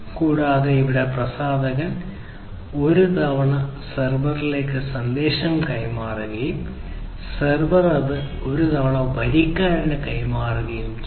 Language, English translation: Malayalam, And, here the publisher transmits the message one time to the server and the server transmits it one time to the subscriber